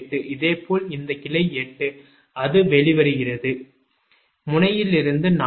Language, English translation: Tamil, similarly, this branch eight, it is emerging from node four, so four to nine